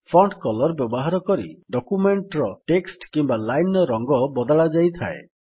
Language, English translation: Odia, The Font Color is used to select the color of the text in which your document or a few lines are typed